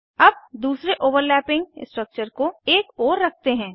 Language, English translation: Hindi, Lets move the second overlapping structure aside